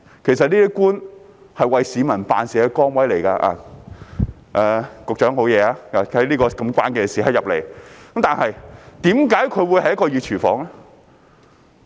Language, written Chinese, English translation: Cantonese, 其實，官員是為市民辦事的崗位——局長沒事，他在這個關鍵時刻進來——可是，為何這會是一個"熱廚房"呢？, In fact government officials are in a position to serve the public―the Secretary is fine he joined at a critical moment . Yet why would it be a hot kitchen?